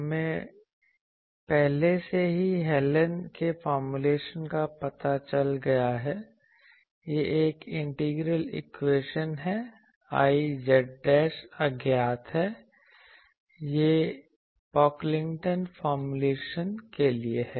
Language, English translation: Hindi, We have already found out Hallen’s formulation, it is an integral equation I z dashed is unknown, this is for Pocklington’s formulation